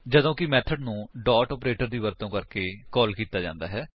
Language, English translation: Punjabi, whereas the method is called using the dot operator